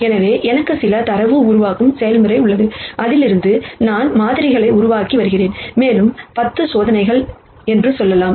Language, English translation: Tamil, So, I have certain data generation process and I am generating samples from that and I have done let us say 10 experiments